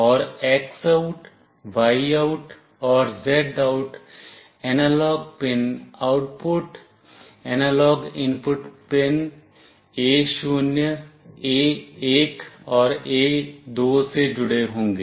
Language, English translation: Hindi, And the X OUT, Y OUT and Z OUT analog pin outputs will be connected to the analog input pins A0, A1 and A2